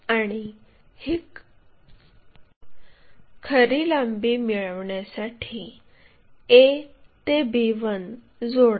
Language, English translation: Marathi, And, join a to b to get true length